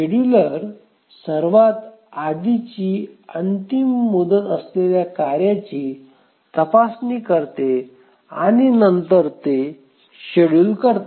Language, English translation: Marathi, We just said that the scheduler examines the task having the earliest deadline and then schedules it